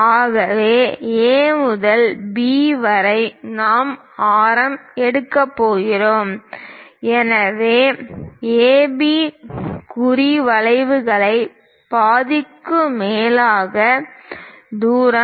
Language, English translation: Tamil, So A to B half of that greater than that we are going to pick as radius; so that one distance greater than half of AB mark arcs